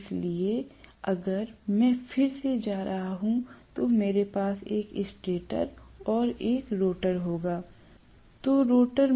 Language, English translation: Hindi, So, if I am going to again, again, I will have a stator and a rotor